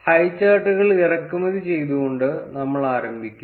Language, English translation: Malayalam, We would start by importing highcharts